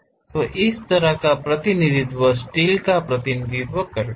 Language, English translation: Hindi, So, such kind of representation represent steel